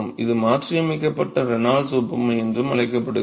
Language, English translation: Tamil, This is also called as modified Reynolds analogy